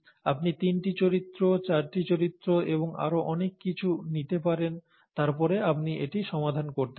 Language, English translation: Bengali, You could also bring in three characters and so on and so forth; four characters and so on, then you can work this out